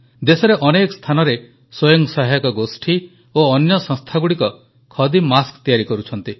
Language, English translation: Odia, Self help groups and other such institutions are making khadi masks in many places of the country